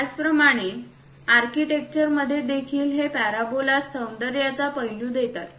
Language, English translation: Marathi, Similarly, in architecture also this parabolas gives aesthetic aspects in nice appeal